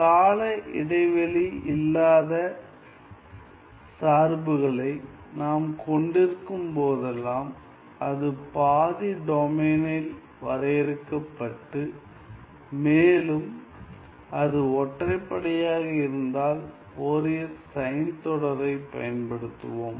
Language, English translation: Tamil, Whenever we have functions which are non periodic, but it is defined on a half domain and it is odd, then we are going to use the Fourier sine series